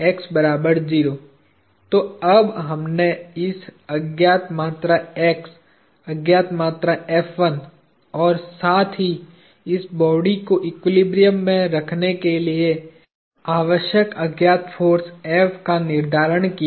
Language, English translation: Hindi, So, we now determined this unknown quantity x, the unknown quantity F1 and as well as the unknown force F required to hold this body in equilibrium